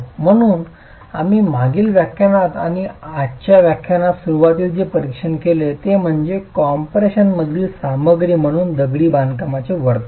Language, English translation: Marathi, So what we did examine in the previous lecture and today's lecture in the beginning is the behavior of masonry as a material in compression